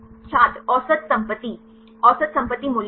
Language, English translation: Hindi, Average property Average property values